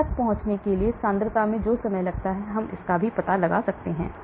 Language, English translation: Hindi, time it takes for the concentration to reach that we can find out